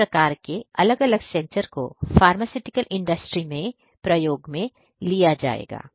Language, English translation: Hindi, Like this there are different different other sensors that would also be used in the pharmaceutical industry